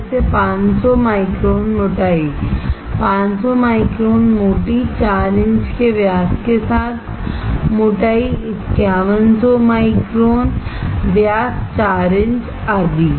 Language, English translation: Hindi, Like 500 micron thickness, 500 micron thick with diameter of 4 inch, thickness 5100 micron of diameter 4 inch etc